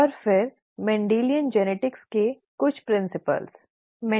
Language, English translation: Hindi, And then some principles of Mendelian genetics